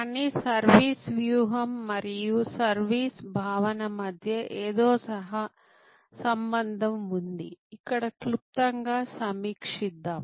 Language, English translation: Telugu, But, service strategy and service concept correlation is something, let us briefly review here